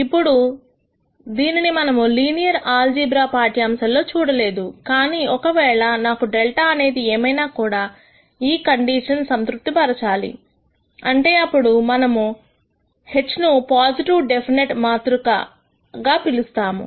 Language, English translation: Telugu, Now, we did not see this in the linear algebra lectures, but if I need this condition to be satisfied irrespective of whatever delta is then we call this H as a positive definite matrix